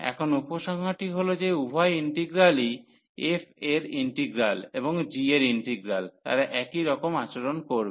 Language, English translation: Bengali, So, now the conclusion is that both integrals integral over f and integral over g, they will behave the same